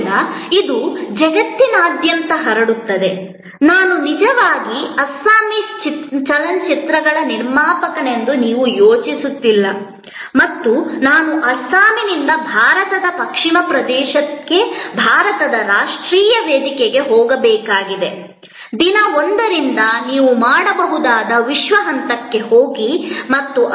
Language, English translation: Kannada, So, it will spread around the globe, so it is not that you are thinking of that I am actually a producer of Assamese films and I have to go from Assam to Western region of India to the national platform of India, you can go to the world stage right from day 1